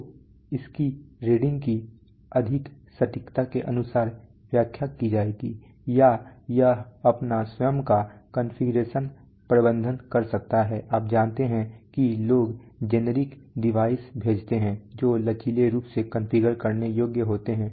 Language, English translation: Hindi, So its readings will be interpreted according for greater accuracy, or it can do its own configuration management, you know people send generic devices which are flexibly configurable